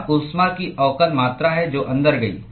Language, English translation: Hindi, This is the differential amount of heat that went in